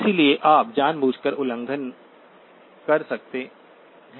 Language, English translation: Hindi, So you can deliberately violate